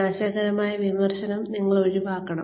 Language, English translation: Malayalam, You should avoid, destructive criticism